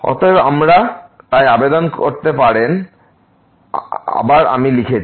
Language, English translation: Bengali, and therefore, we can apply so, again I have written down